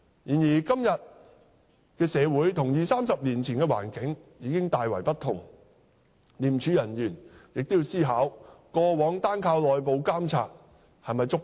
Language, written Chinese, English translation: Cantonese, 然而，現今社會與二三十年前的環境已大為不同，廉署人員亦要思考過往單靠內部監察是否足夠？, However the social conditions nowadays are a lot different from those two or three decades ago and ICAC officers should think about whether the past practice of solely relying on internal audit is still adequate